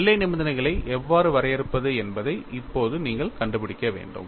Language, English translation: Tamil, Now, you will have to find out how to define the boundary conditions